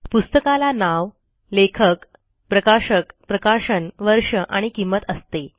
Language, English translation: Marathi, A book can have a title, an author, a publisher, year of publication and a price